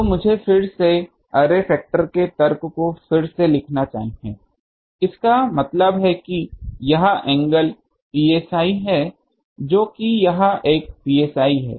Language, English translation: Hindi, So, let me again rewrite the argument of the array factor; that means, this angle psi that was that was one very psi here psi ha